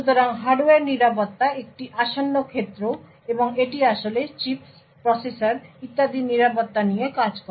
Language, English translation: Bengali, So, Hardware Security is quite an upcoming field and it actually deals with security in chips, processors and so on